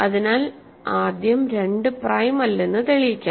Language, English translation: Malayalam, So, let us prove that first, 2 is not prime ok